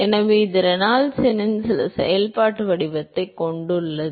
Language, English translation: Tamil, So, it has some functional form of Reynolds number